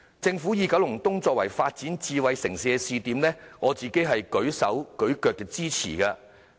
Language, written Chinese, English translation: Cantonese, 政府以九龍東作為發展智慧城市的試點，我自己舉手支持。, At that time I raised my hand to show support for the Governments proposal of making Kowloon East a pilot smart city